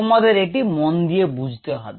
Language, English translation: Bengali, you need to keep this in mind